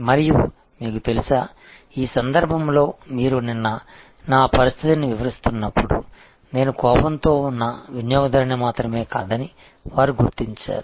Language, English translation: Telugu, And you know, in this case as you are describing my yesterday situation, they recognized that I am not only just an angry customer